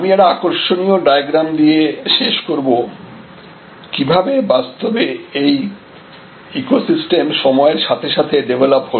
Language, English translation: Bengali, I will end one interesting diagram, that is how actually this ecosystem often develop our time